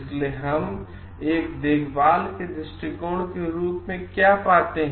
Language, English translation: Hindi, So, what we find as a caring perspective